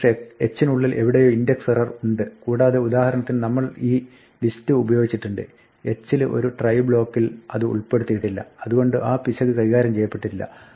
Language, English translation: Malayalam, Somewhere inside h perhaps there is an index error and where we used this list for example, in h we did not put it on a try block and so, the error is not handled